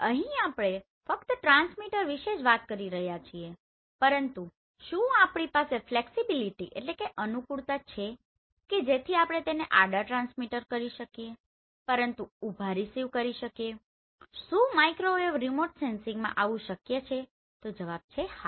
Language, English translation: Gujarati, Here we are only talking about the transmitter, but do we have the flexibility so that we can transmit horizontal, but receive vertical, is it possible in Microwave Remote Sensing then answer is yes